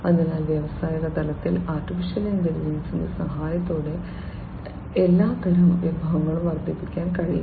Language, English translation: Malayalam, So, all kinds of resources could be boosted up, with the help of use of AI in the industrial scale